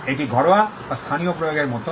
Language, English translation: Bengali, It is more like a domestic or local application